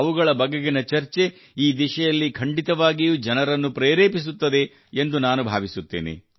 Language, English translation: Kannada, I hope that the discussion about them will definitely inspire people in this direction